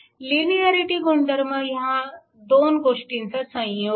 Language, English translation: Marathi, So, this linearity property is a combination of both